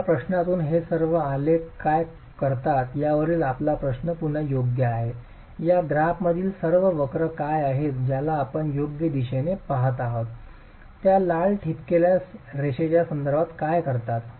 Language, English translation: Marathi, Your question is again to do with what do all these graphs, what do all these curves in this graph represent with respect to the red dotted line that we are looking at